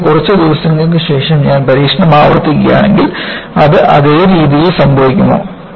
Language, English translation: Malayalam, Or, if I repeat the experiment, after a few days, will it happen in the same fashion